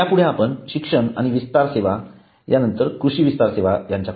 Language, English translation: Marathi, next we come to education and extension services so agriculture extension services